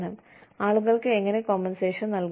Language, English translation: Malayalam, And, how people are to be compensated